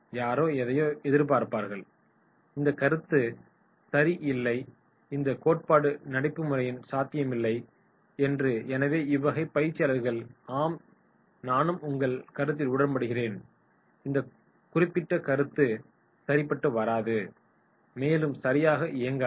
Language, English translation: Tamil, Somebody objects something, “No this concept and this theory is not practically possible” so this type of trainees they will start saying “Yes I also agree with you” then this concept will not work right